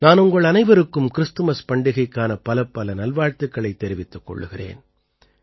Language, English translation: Tamil, I wish you all a Merry Christmas